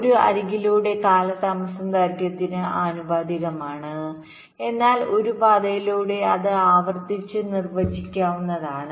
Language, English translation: Malayalam, delay along an edge is proportional to its length, but along a path it can be defined recursively